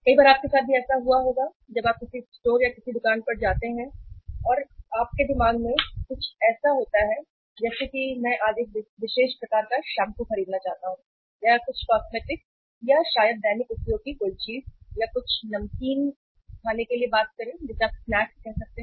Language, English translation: Hindi, On many times it has happened with you also when you visit a store or any shop and you have something in your mind that I want to today buy a particular type of the shampoo or maybe some cosmetic or maybe some other thing of daily use or some some say thing to eat like salted uh you can call it snacks